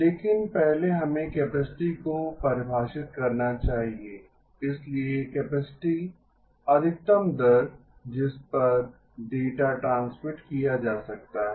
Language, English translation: Hindi, But first we must define capacity, so capacity is the maximum rate data can be transmitted